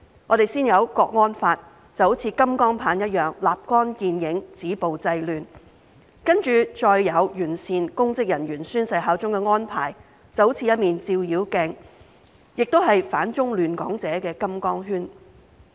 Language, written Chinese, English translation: Cantonese, 我們先有《香港國安法》，像金剛棒般立竿見影，止暴制亂，接着再有完善公職人員宣誓效忠的安排，就像一面照妖鏡，也是反中亂港者的金剛圈。, First we had the Hong Kong National Security Law which was like a golden cudgel to stop violence and curb disorder and then we had the improved arrangement for public officers to take the oath of allegiance which was like a Foe - Glass and a golden fillet for those who oppose China and disrupt Hong Kong